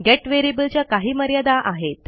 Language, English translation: Marathi, The get variable has limitations